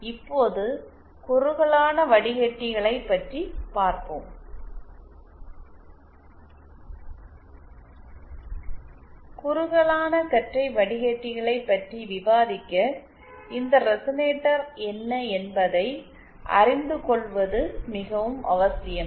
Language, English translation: Tamil, So, let us see what is narrowband filter andÉ To discuss narrowband filters, it is very essential to know what these resonators are